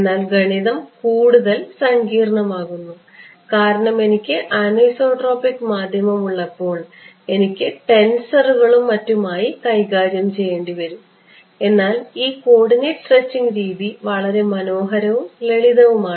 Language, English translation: Malayalam, But the math becomes more complicated because the moment I have anisotropic medium then I have to start dealing with tensors and all of that right, but this coordinates stretching is a very beautiful and simple way of arriving at this thing ok